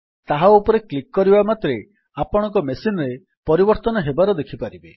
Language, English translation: Odia, As soon as you click on that you can see that changes have applied to your machine